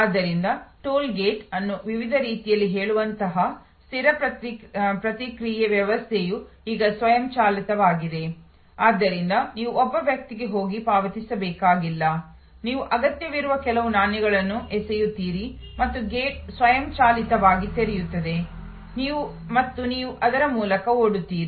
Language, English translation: Kannada, So, fixed response system like say toll gate at various, on high ways are now automated, so you do not have to go and pay to a person, you throw some coins of the requisite amount and the gate automatically opens and you drive through